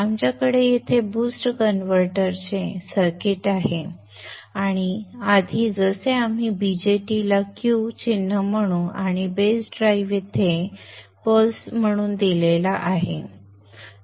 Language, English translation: Marathi, We have here the circuit of the boost converter and like before we will form the VJT symbol Q and the base drive is given here as pulses